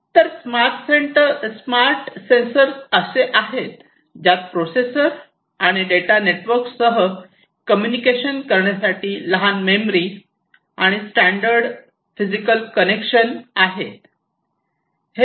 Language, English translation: Marathi, So, smart sensors are the ones which have some small memory and standardized physical connection to enable communication with the processor and data network